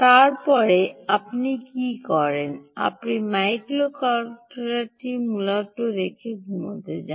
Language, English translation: Bengali, you essentially put the microcontroller and go to sleep